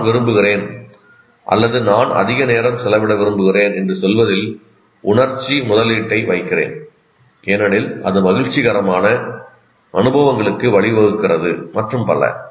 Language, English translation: Tamil, So I put emotional investment in that in terms of saying that I like, I want to spend more time and because it leads a certain pleasurable experiences and so on